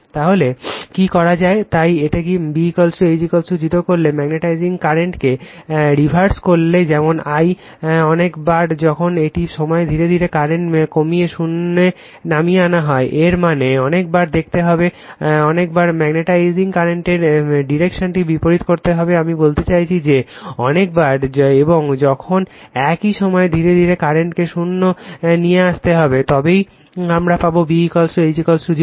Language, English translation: Bengali, By reversing the magnetizing current say I, a large number of times while at the same time gradually reducing the current to zero that means, several times you have to see you have to reverse the direction of the your magnetizing current, I mean large number of times, and while at the same time gradually you have to reduce in the current to zero, then only you will get B is equal to H is equal to 0